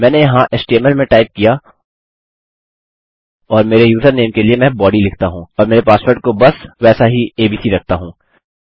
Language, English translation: Hindi, I type in html here and for my username I say body and just keep my password as abc